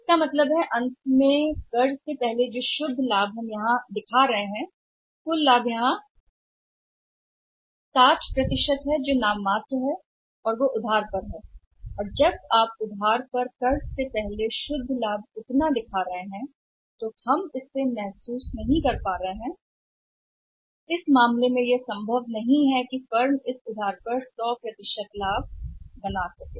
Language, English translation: Hindi, It means finally is the profit net profit before tax which we are showing here that out of that profit the total profit coming here 60% of the profit is also nominal that is also on credit and when you are showing this much of the net profit before tax on the credit we have not realised it, in that case it may not be possible that the firm will be able to realise this 100% credit profit